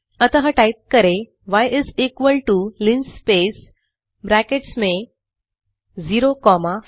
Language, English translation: Hindi, So type y is equal to linspace within brackets 0,50,500